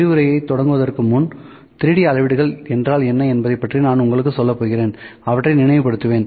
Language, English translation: Tamil, Before the start of the lecture I just tell you what is 3D measurements, will just recall those